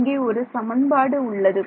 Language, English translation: Tamil, This is the equation